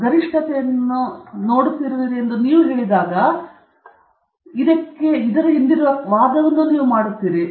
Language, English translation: Kannada, When you say that you are seeing a maximum, you are making an argument as to why is it that you are seeing a maximum